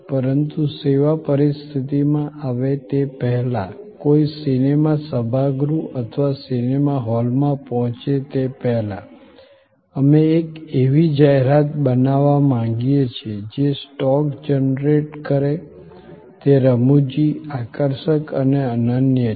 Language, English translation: Gujarati, But, even before one comes to the service setting, even before one reaches the movie auditorium or movie hall, we would like to create a advertising that generate stock; that is humorous; that is compelling, unique